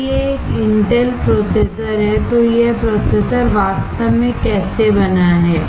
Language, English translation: Hindi, If it is an Intel processor, this how the processor is actually fabricated